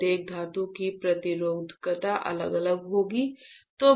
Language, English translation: Hindi, The resistivity of each metal would be different